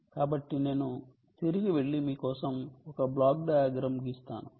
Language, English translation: Telugu, so let me go back and write a block diagram for you